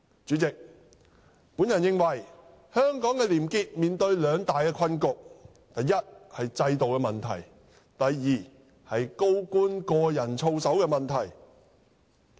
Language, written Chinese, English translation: Cantonese, 主席，我認為香港的廉潔面對兩大困局，一是制度問題，二是高官個人操守的問題。, President I think probity in Hong Kong faces problems in two aspects namely institutional problems and problems with the personal conduct of senior officials